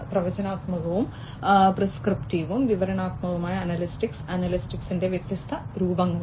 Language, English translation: Malayalam, Predictive, prescriptive, and descriptive analytics are different forms of analytics